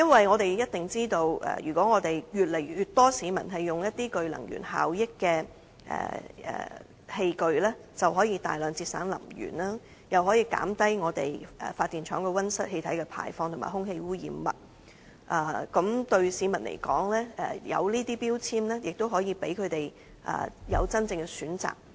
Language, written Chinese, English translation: Cantonese, 我們也知道，當越來越多市民使用這些具能源效益的器具，我們便可大量節省能源，繼而減低發電廠的溫室氣體排放及空氣污染物，而對市民來說，這些標籤亦可以讓他們有真正的選擇。, We all know that as the number of people using these energy efficient appliances increases we may achieve significant energy saving thereby reducing the emissions of greenhouse gases by power plants and of air pollutants . To the public these labels offer genuine choices to them